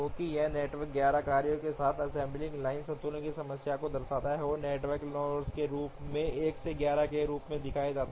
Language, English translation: Hindi, So this network shows an assembly line balancing problem with 11 tasks, which are shown as 1 to 11 as nodes of the network